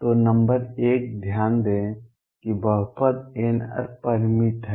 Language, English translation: Hindi, So, number one notice that the polynomial n r is finite